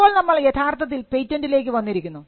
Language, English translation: Malayalam, Now, we come to the patent itself